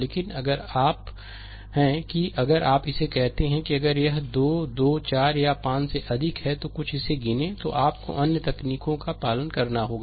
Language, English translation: Hindi, But if you are ah if it is your what you call, if it is more than ah 2 3 4 or 5 say something it count, then you have to follow certain techniques